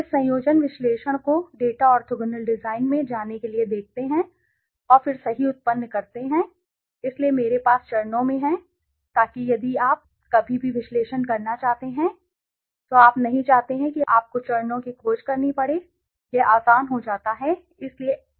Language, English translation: Hindi, Let see this conjoint analyze so to do that go to data orthogonal design and then generate right so I have in steps so that if ever you want to do conjoint analyses you do not want you do not have to search for the steps right it becomes easier for you to do it so this is on SPSS